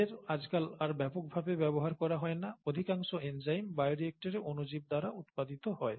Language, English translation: Bengali, They are not very extensively used nowadays, most enzymes are produced by microorganisms in bioreactors